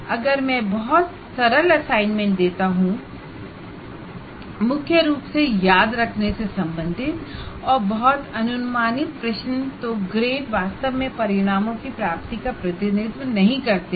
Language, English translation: Hindi, If I give a very cheap assignment, that means only everything predominantly related to remember and also very predictable questions that I give, then if assessment is poor, then grades really do not represent